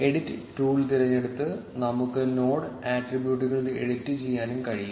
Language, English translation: Malayalam, We can also edit the node attributes by selecting the edit tool